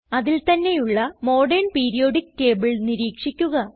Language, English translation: Malayalam, Observe the built in Modern periodic table